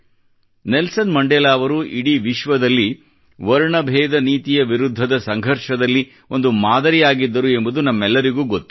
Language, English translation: Kannada, We all know that Nelson Mandela was the role model of struggle against racism all over the world and who was the inspiration for Mandela